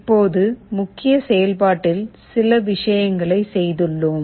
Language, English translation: Tamil, Now, in the main function we have done a few things